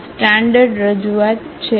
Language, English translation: Gujarati, This is the standard representation